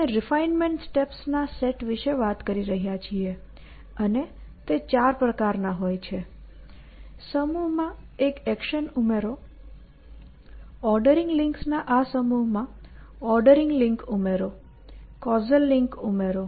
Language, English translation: Gujarati, We are talking about a set of refinement steps and the refinement steps are of four kind, add an action to the set a, add ordering link to this set of ordering links, add the casual link to see